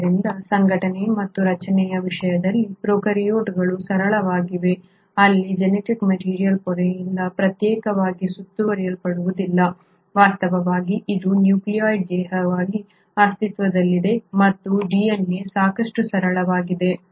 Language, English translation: Kannada, So in terms of organisation and structure, the prokaryotes are the simpler ones where the genetic material is not enclosed exclusively by a membrane itself, in fact it exists as a nucleoid body and DNA is fairly simple